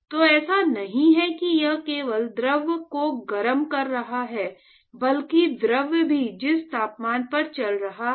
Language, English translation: Hindi, So, it is not just that it is simply being heating the fluid, but the temp the fluid is also moving